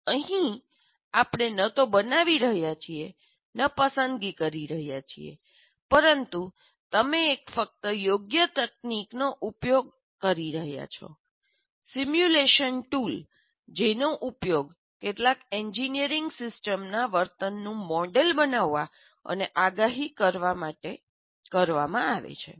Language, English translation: Gujarati, So here we are neither creating nor selecting, but we are just applying an appropriate technique, that is simulation tool, to kind of, that is both modeling and prediction of the behavior of some engineering system